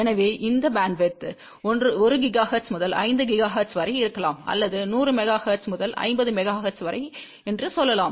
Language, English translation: Tamil, So, this bandwidth can be from 1 gigahertz to 5 gigahertz or it can be let us say 100 megahertz to 500 megahertz